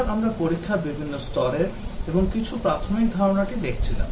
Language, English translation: Bengali, Last time we were looking at different levels of testing and few basic concepts